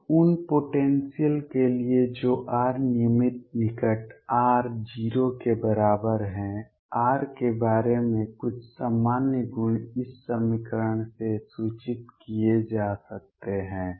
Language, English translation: Hindi, Now for potentials that r regular near r equals 0 some general properties about r can be inform from this equation